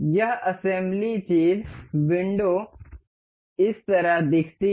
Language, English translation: Hindi, This assembly thing, the window looks like this